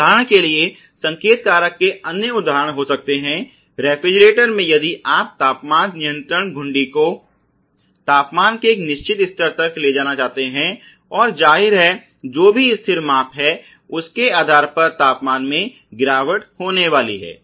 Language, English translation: Hindi, There can be other example of signal factor for example, in refrigerator if you want to take the control the temperature control knob to a certain level of temperature and obviously, there is going to be a fall of temperature based on whatever set values that you have incorporated